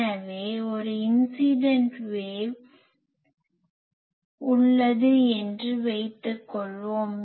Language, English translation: Tamil, So, let us say that we have a incident wave